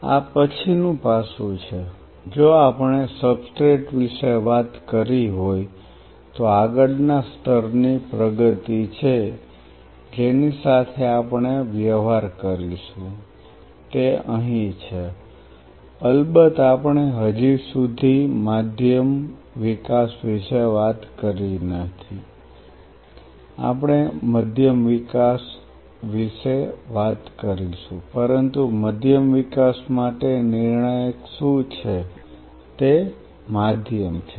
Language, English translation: Gujarati, There is this next aspect if we have talked about substrate there is next level of advancement what we will be dealing with is out here of course, we haven’t still talked about medium development you will be talking about medium development, but what is critical about medium development is defined medium